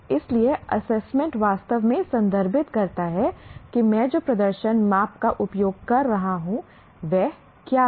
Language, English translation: Hindi, So, assessment really refers to what is the performance measure am I using